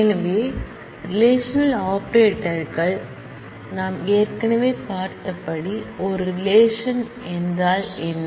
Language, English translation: Tamil, So, relational operators, so what is a relation as we have seen already